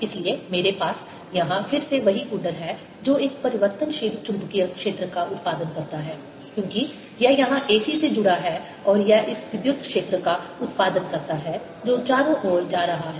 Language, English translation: Hindi, so what i have here is again the same coil that produces a changing magnetic field, because this is connected to the a c and it produces this electric field which is going around